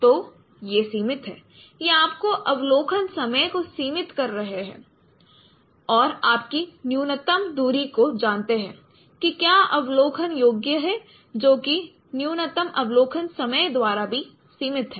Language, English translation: Hindi, So, these are no limiting, these are limiting your observation time and thus know your minimum distance what is observable that is also limited by that minimum observation time